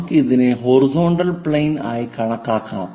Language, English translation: Malayalam, Let us consider this is the horizontal plane